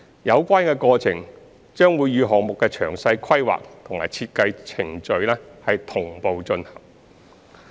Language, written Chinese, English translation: Cantonese, 有關過程將會與項目的詳細規劃及設計程序同步進行。, The negotiation will be conducted concurrently with the detailed planning and design process of the projects